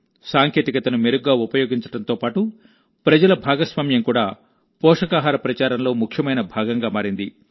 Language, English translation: Telugu, Better use of technology and also public participation has become an important part of the Nutrition campaign